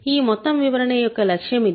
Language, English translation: Telugu, This is the goal of this whole theory